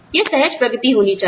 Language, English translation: Hindi, It should be smooth progression